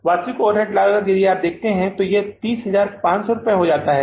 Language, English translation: Hindi, Actual overhead cost if you look at this becomes 30,500